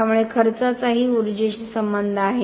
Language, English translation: Marathi, So cost is also related to energy